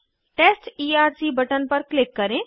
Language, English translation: Hindi, Click on Test Erc button